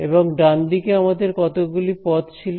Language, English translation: Bengali, And on the right hand side we had how many terms